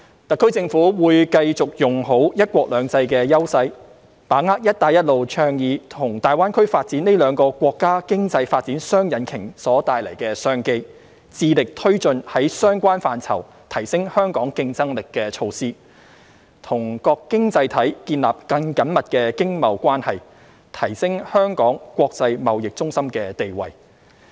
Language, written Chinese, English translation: Cantonese, 特區政府會繼續用好"一國兩制"優勢，把握"一帶一路"倡議和大灣區發展這兩個國家經濟發展雙引擎所帶來的商機，致力推進在相關範疇提升香港競爭力的措施，與各經濟體建立更緊密經貿關係，提升香港國際貿易中心的地位。, The SAR Government will continue to make the best use of the advantages under the one country two systems principle to tap into the business opportunities brought about by the twin engines of the countrys economic development in the Belt and Road Initiative and the Greater Bay Area GBA development while striving to press ahead with measures to bolster Hong Kongs competitiveness in the relevant sectors and establish close economic and trade relations with other economies for enhancing Hong Kongs status as an international trading centre